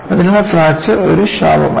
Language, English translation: Malayalam, So, fracture is as such not a bane